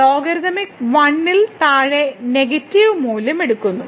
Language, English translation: Malayalam, So, less than 1 the logarithmic take the negative value